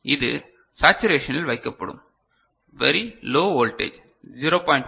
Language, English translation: Tamil, So, this will be put to saturation very low voltage 0